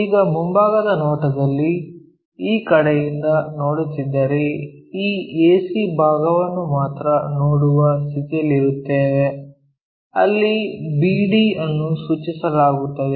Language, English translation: Kannada, Now, in the front view if you are looking from this side, only this ac portion we will be in a position to see where bd are mapped